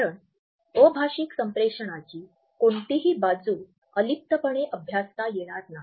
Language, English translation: Marathi, Because, any aspect of non verbal communication cannot be taken in isolation